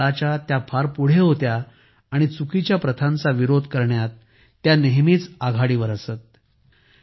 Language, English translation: Marathi, She was far ahead of her time and always remained vocal in opposing wrong practices